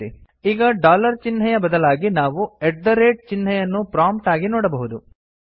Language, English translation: Kannada, Now instead of the dollar sign we can see the at the rate sign as the prompt